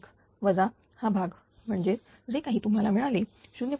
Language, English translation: Marathi, 01 minus this term; that means, whatever you got 0